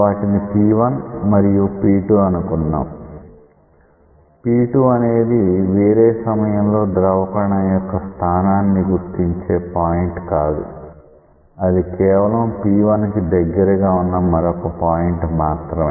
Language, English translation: Telugu, Say P1 and P2 not that P2 represents the local the location of the fluid particle at a different time not like that, just it is another point on the streamline which is very close to the point P 1